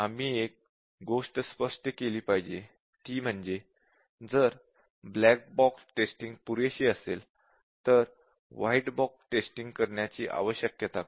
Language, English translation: Marathi, One thing is we have to be clear whether white box testing is necessary if you are doing adequate black box testing